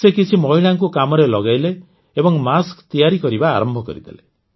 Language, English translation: Odia, He hired some women and started getting masks made